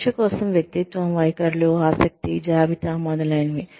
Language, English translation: Telugu, For testing of, personality, attitudes, interest, inventories, etcetera